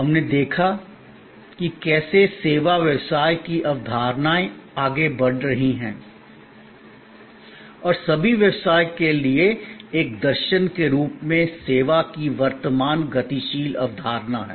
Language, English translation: Hindi, We looked at how service business concepts are progressing and the current dynamic concept of service as a philosophy for all business and so on